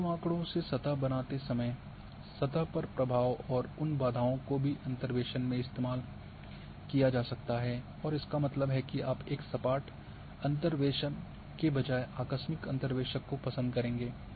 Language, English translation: Hindi, The influence in the surface while creating a surface from point data and those barriers can also be used in the interpolation and that means you would prefer the abrupt interpolators rather than a smooth interpolators